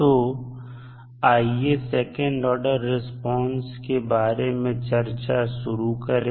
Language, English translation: Hindi, So, let us start the discussion about the second order response